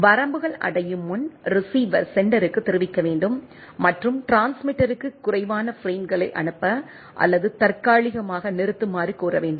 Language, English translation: Tamil, Receiver must inform the sender, before the limits are reached and request that transmitter to send fewer frames or stop temporarily right